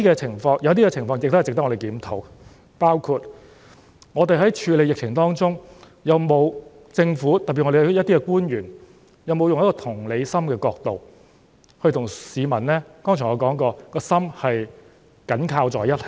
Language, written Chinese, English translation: Cantonese, 但是，有些情況仍值得我們檢討，包括我們在處理疫情的過程中，政府官員有否從同理心的角度與市民的心——正如我剛才所說的——緊扣在一起呢？, Having said that there are still situations worthy of our review including whether government officials in the course of their handling of the epidemic have as I said earlier closely connected with the people from an empathetic point of view